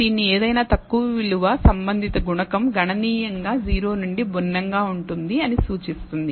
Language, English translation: Telugu, Any low value of this indicates that the corresponding coefficient is significantly different from 0